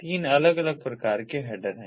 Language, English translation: Hindi, there are three different types of headers